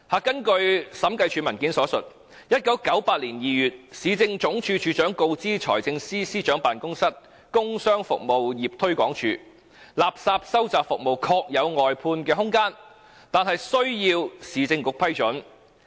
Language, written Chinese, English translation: Cantonese, 根據審計署文件所述，"在1998年2月，市政總署署長告知財政司司長辦公室工商服務業推廣署：垃圾收集服務確有外判的空間，但須獲得市政局批准。, As stated in the document by the Audit Commission In February 1998 the Director of Urban Services informed the Business and Services Promotion Unit of the Financial Secretarys Office that while there was scope for contracting out the refuse collection service the approval of the [Urban Council] would be required